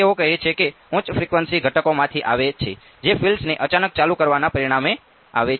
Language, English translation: Gujarati, So, that they says coming from the high frequency components that came as a result of turning the field on abruptly